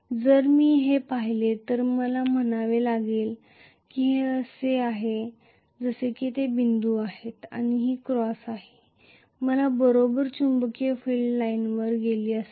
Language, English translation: Marathi, If I look at this I have to say normally I am going to have this as if it is dots and this is cross I would have had the correct magnetic field line going up